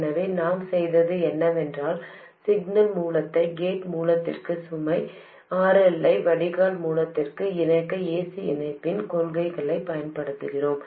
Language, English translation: Tamil, So, what we have done is to use the principle of AC coupling to connect the signal source to the gate source and the load RL to the drain source